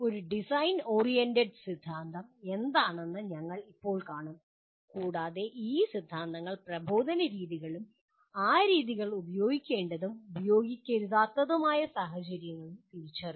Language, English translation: Malayalam, We will presently see what a design oriented theory is and these theories will also identify methods of instruction and the situations in which those methods should and should not be used